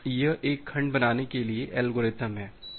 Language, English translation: Hindi, So, this is the algorithm for creating a segment